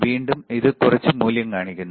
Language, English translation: Malayalam, Again, it is showing some value all right